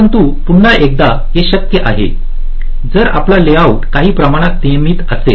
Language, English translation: Marathi, ok, but again, this is possible if your layout is some sort of regular, your circuit is regular